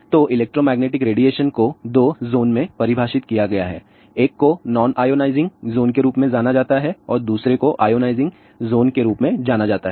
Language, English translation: Hindi, So, electromagnetic radiations are defined in 2 zone; one is known as a nonionizing zone, another one is known as ionizing zone